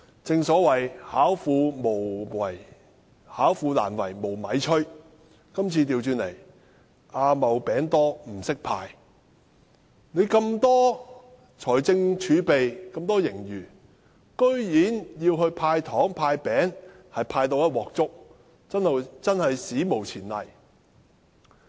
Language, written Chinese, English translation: Cantonese, 正所謂"巧婦難為無米炊"，但今次卻倒過來，是"阿茂餅多不識派"，有巨額財政儲備和盈餘，居然"派糖"、"派餅"也一塌糊塗，真是史無前例。, Even the cleverest housewife cannot prepare a meal out of nothing so the saying goes . But this time it is the other way around . Even with a huge fiscal reserve and surplus the Government can make giving away candies and giving away cookies a big mess